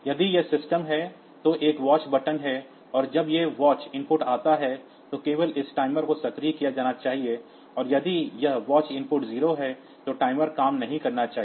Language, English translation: Hindi, So, in my system if this is the system, there is a there is a watch button and when this watch input comes, then only then only this timer should be activated, and if this watch input is 0 then the timer should not work